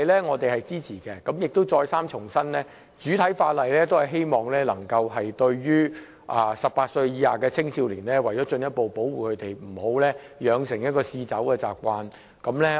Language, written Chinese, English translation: Cantonese, 我們再三重申，主體法例是希望能夠進一步保護18歲以下的青少年，不要讓他們養成嗜酒習慣。, We have to reiterate that the objective of the principal legislation is to further protect minors under the age of 18 years and prevent the development of an addictive drinking habit among young people